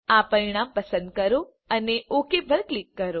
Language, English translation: Gujarati, Select this result and click on OK